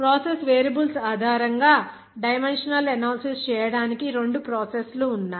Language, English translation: Telugu, There are two processes to do dimensional analysis based on the process variables